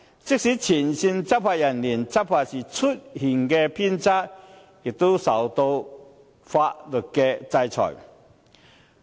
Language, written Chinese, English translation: Cantonese, 即使前線執法人員在執法時出現偏差，也會受到法律制裁。, Even frontline law enforcement officers who are found to be inconsistent in enforcing law will have to face legal sanctions